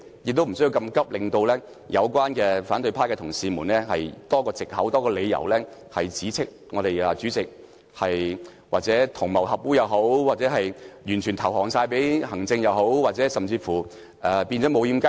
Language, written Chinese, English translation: Cantonese, 那麼趕急的話，只會給予反對派的同事多一個藉口及理由，指斥主席同流合污或完全對行政機關投降，甚至指斥立法會變成"無掩雞籠"。, Acting in such haste would only give opposition Members one more excuse or reason to accuse the President of colluding with or fully capitulating to the Executive Authorities or even accuse the Legislative Council of degenerating into a gateless fortress